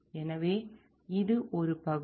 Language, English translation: Tamil, So, this is one area